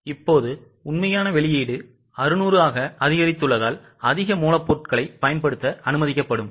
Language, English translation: Tamil, Now since the actual output has increased to 600 company will be permitted to use more raw material